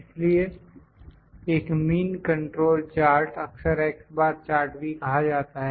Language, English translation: Hindi, So, a mean control chart is often referred to as an x bar chart